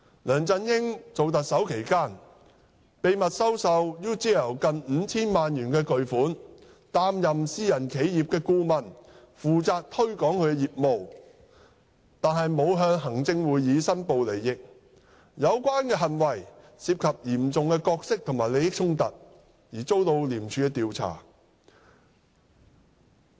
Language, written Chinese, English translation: Cantonese, 梁振英擔任特首期間，秘密收受 UGL 近 5,000 萬元巨款，擔任私人企業顧問，負責推廣業務，但並無向行政會議申報利益，有關行為涉及嚴重的角色和利益衝突而遭受廉署調查。, During his office as the Chief Executive LEUNG Chun - ying accepted close to 50 million from UGL acting as a consultant for a private firm and responsible for promoting its business but he did not make a declaration of interest to the Executive Council . Such an act involved a serious conflict of roles and interests and for this he has been investigated by ICAC